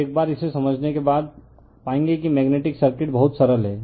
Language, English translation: Hindi, So, once you understand this, you will find magnetic circuit is very simple right